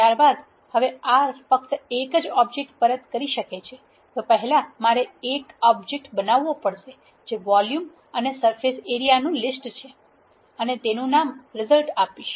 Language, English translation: Gujarati, Since R can written only one object what I have to do is I have to create one object which is a list that contains volume and surface area and return the list